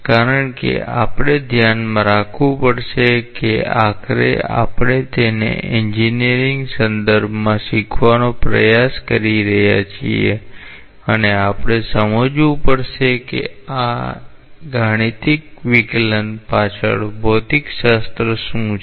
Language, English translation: Gujarati, Because we have to keep in mind that after all we are trying to learn it in an engineering context and we have to understand that what physics goes behind these mathematical derivations